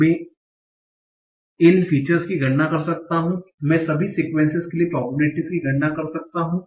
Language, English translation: Hindi, I can compute these features, I can compute the probability for all the sequences